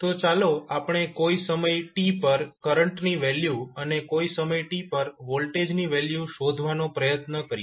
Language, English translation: Gujarati, So, now let us try to find out the value of current i at any time t and value of voltage at any time t